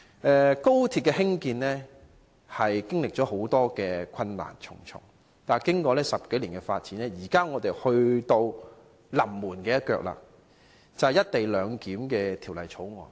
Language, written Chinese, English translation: Cantonese, 興建高鐵的過程，經歷重重困難，但經過10多年的發展，現在已到了"臨門一腳"，就是審議《廣深港高鐵條例草案》。, The construction of XRL has gone through all kinds of difficulties but after the development of some 10 years now we have come to the very last moment of scoring our goal that is the consideration of the Guangzhou - Shenzhen - Hong Kong Express Rail Link Co - location Bill the Bill